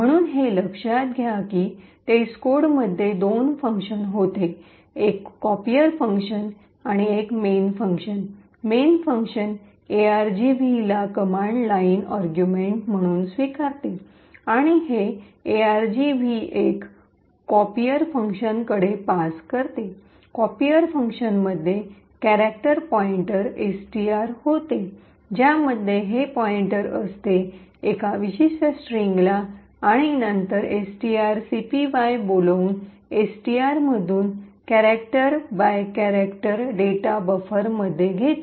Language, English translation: Marathi, So recollect that the test code had two functions a copier function and a main function, the main function took the argv as command line arguments and it passed argv 1 to the copier function, the copier function had a character pointer STR which have this pointer to this particular string and then invoke string copy taking character by character from STR into this buffer